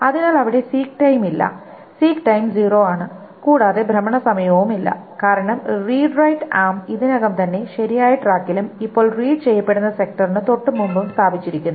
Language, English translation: Malayalam, So there is no seek time, the seek time is zero, there is no rotational time as well because the read right arm will is already placed on the correct track and just before the sector that is being written